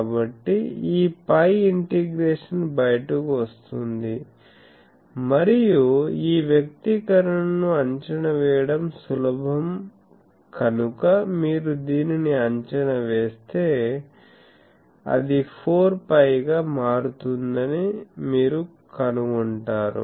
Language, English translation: Telugu, So, this phi integration will come out and if you evaluate this because this expression is easy to evaluate, you will find that it will turn out to be 4 pi